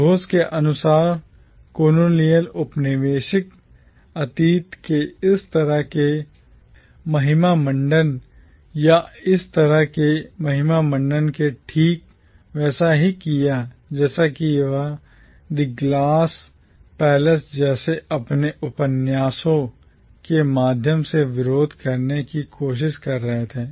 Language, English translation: Hindi, According to Ghosh, such glorification or such glorified memorialisation of the colonial past was precisely what he was trying to resist through his novels like The Glass Palace